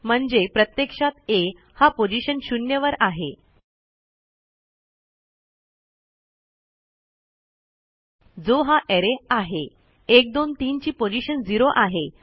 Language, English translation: Marathi, So in actual fact, we are saying that A is in position 0, which is this array, 123 and that is position zero